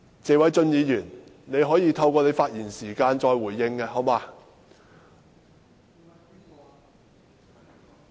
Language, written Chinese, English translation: Cantonese, 謝偉俊議員，你可以在你的發言時間再回應，好嗎？, Mr Paul TSE can you say something more when you speak later on?